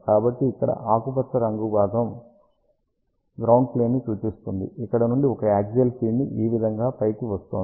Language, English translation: Telugu, So, this one here green portion represents the ground plane from where a coaxial pin is coming here on the top there is a line like this here